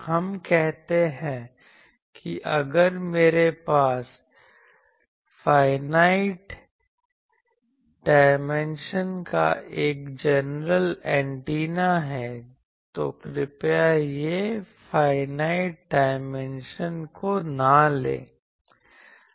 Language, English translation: Hindi, We say that if I have a general antenna of finite dimension, please not this finite dimension